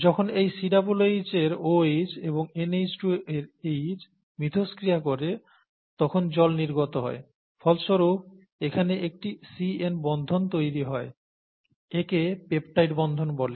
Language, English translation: Bengali, So when these two interact this OH of the COOH here, and this H of the NH2 here, condense out, the water comes out and it results in the formation of the CN bond here, the bond between this and this, this is called the peptide bond, okay